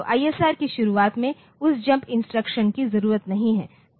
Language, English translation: Hindi, So, that jump instruction jump not needed at the beginning of the ISR